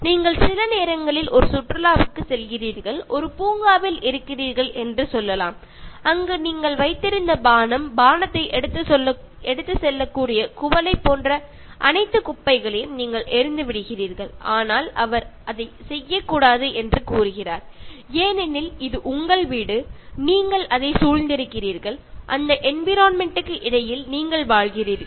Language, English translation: Tamil, So we have to take good care, so you sometimes go to a picnic and then let us say you are in a park and then you throw the drink that you had, the can that carried the drink, and then you throw that, throw all trash, but he says that you cannot do that because this is your home, and you are surrounded by that, and you are living amidst that surrounding, that environment